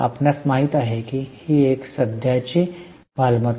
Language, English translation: Marathi, You know it's a current asset